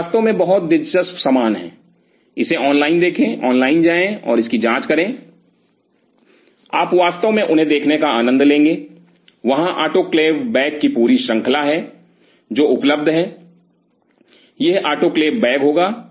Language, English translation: Hindi, They are really very interesting stuff explore it online go online and check it out, you will you will really enjoy seeing them there are whole different range of autoclave bags which are available, will have this autoclave bag